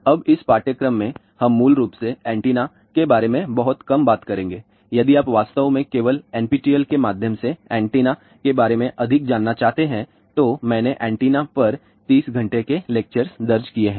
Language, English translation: Hindi, Now, in this course we will basically talk little bit about antennas if you really want to know more about antennas through NPTEL only, I have recorded 30 hours of lectures on antenna